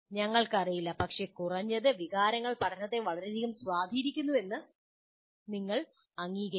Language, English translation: Malayalam, We do not know, but at least you have to acknowledge emotions greatly influence learning